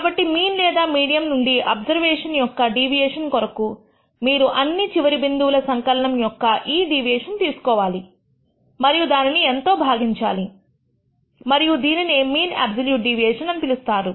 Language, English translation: Telugu, So, deviation of the observation from the mean or the median, you take the absolute value of this deviation sum over all the end points and divide by N and that is what is called the mean absolute deviation